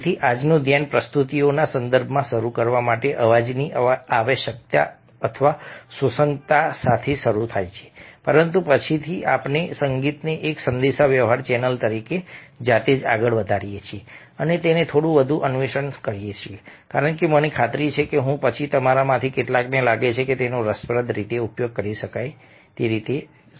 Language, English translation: Gujarati, so todays focus begins with the necessity or the relevance of sound, to begin with in the context of presentations, but later on we move on to music as a communicating channel by itself and explore it a little further, because i am sure that, after i have completed, some of you might feel that it can be exploited in an interesting way